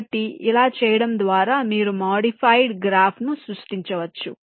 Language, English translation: Telugu, so by doing this you create modified graph here